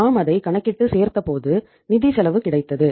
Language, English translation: Tamil, We calculate and add it up and then we have the financial cost